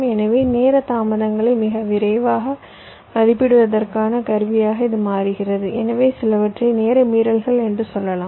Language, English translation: Tamil, so this becomes an attractive tool for very quick estimate of the timing delays and hence some, i can say, timing violations